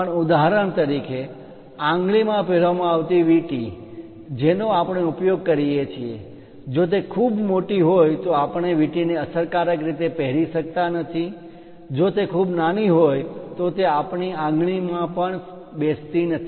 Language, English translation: Gujarati, Even for example, the finger rings what we use if it is too large we will not be in a position to effectively use that ring, if it is too small it does not fit into our finger also